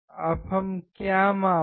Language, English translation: Hindi, Now what do we measure